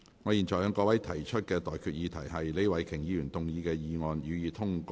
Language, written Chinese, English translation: Cantonese, 我現在向各位提出的待決議題是：李慧琼議員動議的議案，予以通過。, I now put the question to you and that is That the motion moved by Ms Starry LEE be passed